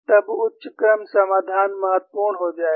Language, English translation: Hindi, Then the higher order solution will become important